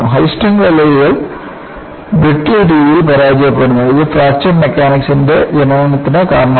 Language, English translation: Malayalam, The high strength alloys fail in a brittle fashion has prompted the birth of Fracture Mechanics